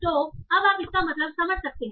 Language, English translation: Hindi, So now can you make sense of that